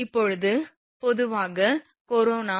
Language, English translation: Tamil, Now, in general corona mv is equal to 0